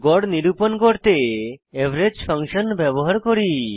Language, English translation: Bengali, Here we use the average function to calculate the average